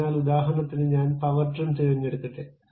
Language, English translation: Malayalam, So, for example, let me pick power trim